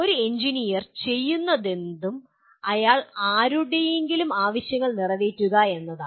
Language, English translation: Malayalam, Anything that an engineer does, he is to meet somebody’s requirement